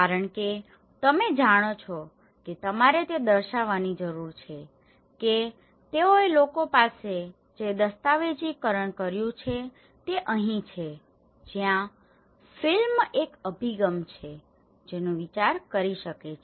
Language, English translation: Gujarati, Because you know one need to showcase that what they have documented to the people this is where a film is one approach one can think of